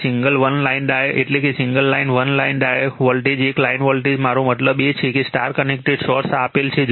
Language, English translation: Gujarati, That single one line means single line one line voltage, one line voltage I mean one is star connected source is given this right